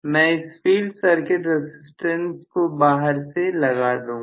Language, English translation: Hindi, I am going to include a field circuit resistance externally